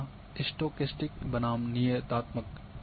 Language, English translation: Hindi, The fourth one is a stochastic versus deterministic